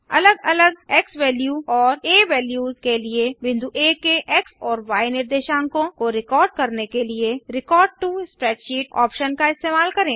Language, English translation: Hindi, Use the Record to Spreadsheet option to record the x and y coordinates of point A, for different xValue and a values